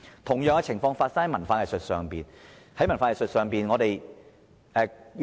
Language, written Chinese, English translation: Cantonese, 同樣的情況發生在文化藝術上。, The performance of culture and arts also faces the same problem